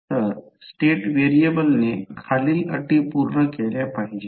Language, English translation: Marathi, So state variable must satisfy the following conditions